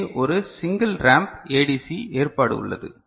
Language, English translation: Tamil, So, here is a single ramp ADC arrangement